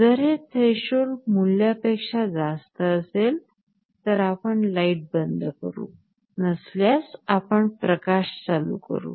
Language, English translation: Marathi, If it exceeds some threshold value we turn off the light; if not, we turn on the light